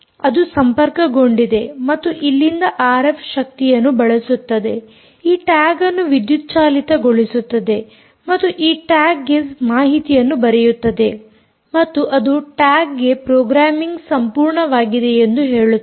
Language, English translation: Kannada, it connects and uses the r f energy from here, hours this tag and writes data into this tag and it says its completed programming, the tag